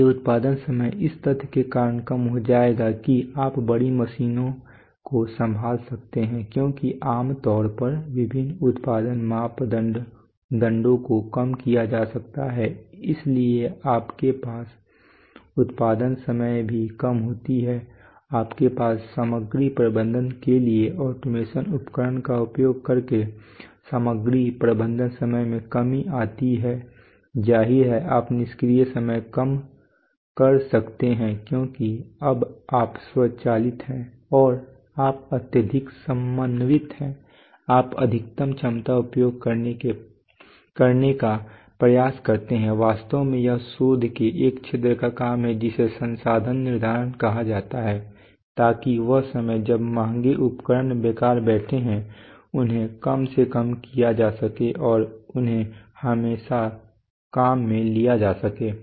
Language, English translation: Hindi, So the production time will reduce because of the fact that you can handle larger machines because typically various production parameters can be reduced, so you have reduction in production time you have reduction in material handling time using using automation equipment for material handling obviously you can reduce idle time because now you are now you are automated and you are highly coordinated you you try to do the maximum capacity utilization in fact this is the job of an area of research called resource scheduling, so that the time that the machines expensive equipment sits idly can be minimized and they can be always fed with work